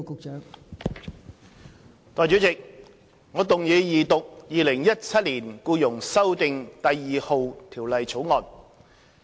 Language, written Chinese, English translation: Cantonese, 代理主席，我動議二讀《2017年僱傭條例草案》。, Deputy President I move the Second Reading of the Employment Amendment No . 2 Bill 2017 the Bill